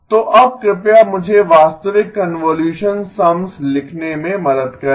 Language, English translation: Hindi, So now please help me write the actual convolution sums